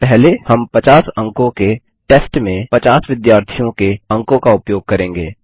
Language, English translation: Hindi, First we will use the marks of 50 students in a 50 mark test